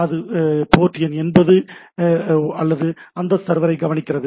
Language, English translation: Tamil, It is listening to port 80 or that server thing and always alive